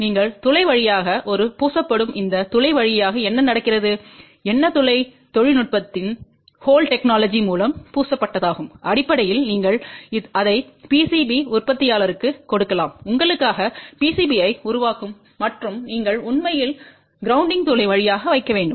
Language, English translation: Tamil, You put a plated through hole and through this hole what happens and what is the plated through hole technology, basically you can give it to the PCB manufacturer who will fabricate PCB for you and you actually have to put the plated through hole